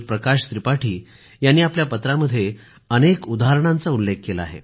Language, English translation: Marathi, Shriman Prakash Tripathi has further cited some examples